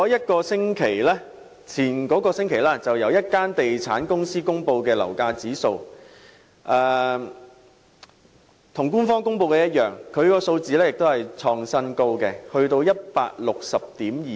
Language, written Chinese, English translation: Cantonese, 代理主席，上星期有地產公司公布樓價指數，與官方公布的數字一樣，同樣創新高至 160.26。, Deputy President the property price index released by a real estate company last week also reached an all - time high of 160.26 similar to the index published by the Government